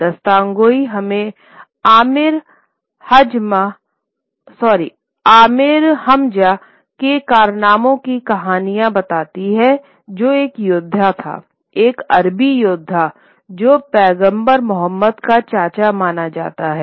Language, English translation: Hindi, Dasthan Ghoi tells us the stories of, told the stories of adventures of Amir Hamza who was a warrior, an Arabic warrior, who was supposedly the uncle of Prophet Muhammad